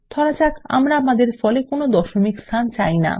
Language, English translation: Bengali, Now suppose we dont want any decimal places in our result